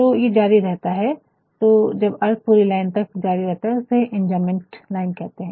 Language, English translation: Hindi, So, when the line when the meaning continues to the next line it is called enjambed lines